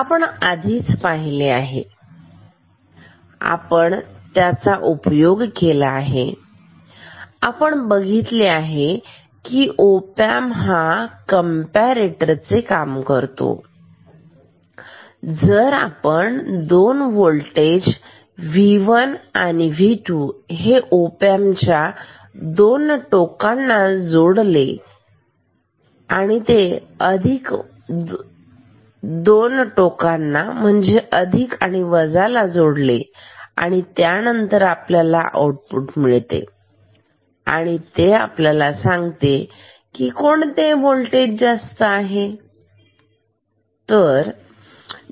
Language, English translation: Marathi, So, op amp we know this acts as a comparator, simply if we just connect 2 voltages V 1 and V 2 at 2 terminals say plus and minus then the output we know, this tells us which voltage is higher ok